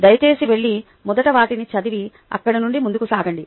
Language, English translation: Telugu, please go and read them first and then move forward from there